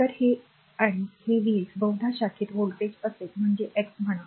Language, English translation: Marathi, So, it and this v x is maybe it is the voltage across your across the branch say x right